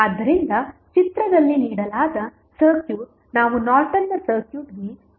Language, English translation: Kannada, So, the circuit which is given in the figure we need to find out the Norton's equivalent of the circuit